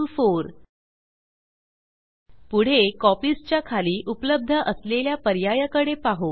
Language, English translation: Marathi, Next, lets look at the options available under Copies